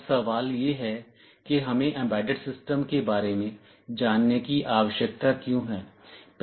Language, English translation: Hindi, Now the question is that why do we need to learn about embedded systems